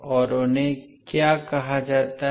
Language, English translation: Hindi, And what they are called